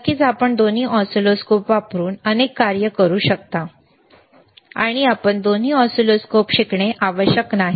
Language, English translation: Marathi, Of course, you can perform several functions using both the oscilloscope, and it is not necessary that you should learn both oscilloscopes